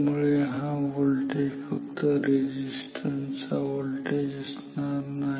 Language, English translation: Marathi, So, this voltage is not the voltage across this resistance